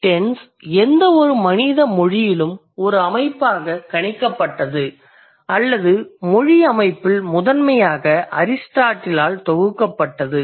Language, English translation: Tamil, So, tense as a system in any human language was predicted or was compiled or was composed of in the human system or in the language system primarily by Aristotle